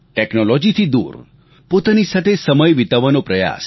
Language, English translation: Gujarati, Get away from technology, and try to spend some time with yourself